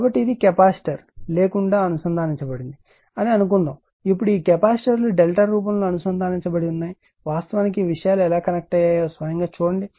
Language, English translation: Telugu, So, this is without capacitor suppose it is connected; now, this capacitors are connected in delta form this is given just you see yourself that how actually things are connected right